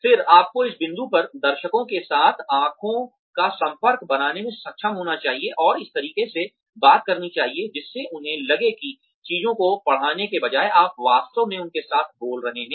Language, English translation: Hindi, Then, you should, at this point, you should be able to make eye contact with the audience, and talk in a manner, that they feel that, you are actually speaking with them, instead of reading things out